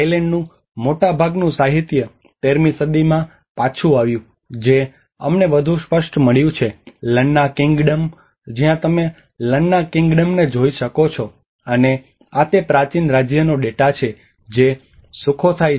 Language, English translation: Gujarati, Much of the literature of Thailand goes back to 13th century which we found more evident that is where the Lanna Kingdom where you can see the Lanna Kingdom and this is the data for of the first ancient kingdom which is Sukhothai